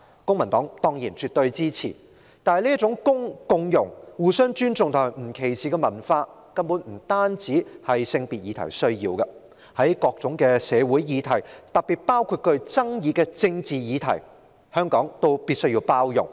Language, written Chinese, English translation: Cantonese, 公民黨對此絕對支持，但這種共融、互相尊重和不歧視的文化，根本不單是處理性別議題所需要的，在各種社會議題，特別是具爭議的政治議題上，香港必須包容。, The Civic Party gives this our full support . However this culture of inclusiveness mutual respect and non - discrimination is needed not only in the handling of gender issues . On various social issues particularly controversial political issues Hong Kong must have this inclusiveness